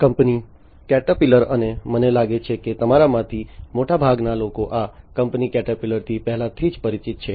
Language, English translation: Gujarati, The company Caterpillar, and I think most of you are already familiar with this company Caterpillar